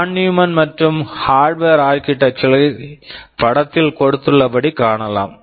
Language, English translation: Tamil, Pictorially Von Neumann and Harvard architectures can be shown like this